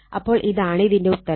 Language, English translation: Malayalam, This is the answer